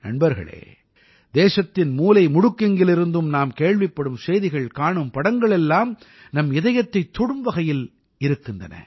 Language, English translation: Tamil, Friends, it is right, as well…we are getting to hear such news from all corners of the country; we are seeing such pictures that touch our hearts